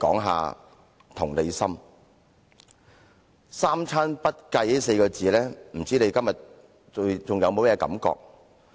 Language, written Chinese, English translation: Cantonese, 對於"三餐不繼"這4個字，我不知道他今天還有甚麼感覺。, I do not know what feelings he has towards the words hardly able to afford three square meals a day today